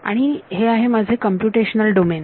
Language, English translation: Marathi, This is my computational domain